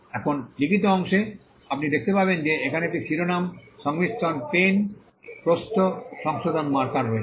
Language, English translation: Bengali, Now, the written part, you will find that there is a title combination pen width correction marker